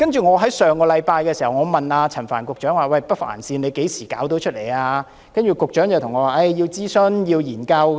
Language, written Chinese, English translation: Cantonese, 我在上星期問陳帆局長何時能夠落實興建北環線，局長便說要諮詢和研究。, Last week I asked Secretary Frank CHAN when the implementation of the Northern Link could be confirmed . The Secretary replied that the Government had to conduct consultation and studies